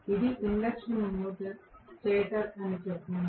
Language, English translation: Telugu, Let us say this is the induction motor stator